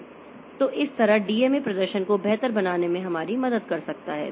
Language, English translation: Hindi, So, so this way DMA can help us to improve performance